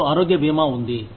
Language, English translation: Telugu, You have health insurance